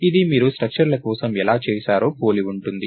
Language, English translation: Telugu, resembles how you did it for structures